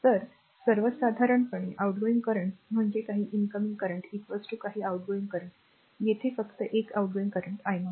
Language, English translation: Marathi, So, outgoing current actually in general that some of the incoming current is equal to some of the outgoing current, here only one out going current i 0